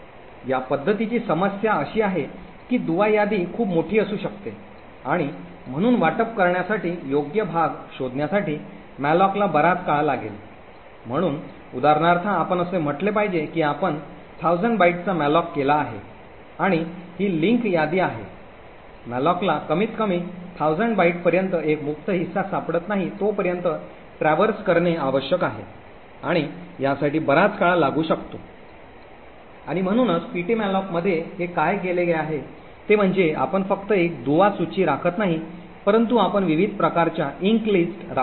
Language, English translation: Marathi, The problem with this approach is that the link list could be very large and therefore malloc would take a long time to find the appropriate chunk to be allocated, so for example let us say we have done a malloc of 1000 bytes then this link list has to be traversed until malloc finds one free chunk which is at least of 1000 bytes and this could take a long time and therefore what this actually done in ptmalloc is that we do not maintain just one link list but we maintain multiple different types of ink list